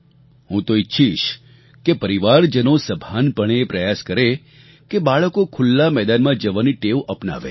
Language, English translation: Gujarati, I would like the family to consciously try to inculcate in children the habit of playing in open grounds